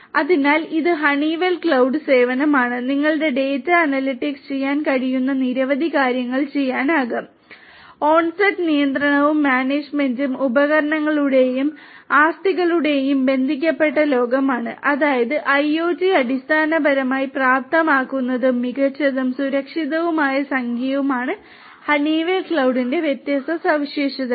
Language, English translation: Malayalam, So, this is this Honeywell cloud service and you can do number of different things data analytics can be done, onsite control and management could be done connected world of devices and assets; that means, IoT basically enablement and smart and secure alliance these are the different features of the Honeywell cloud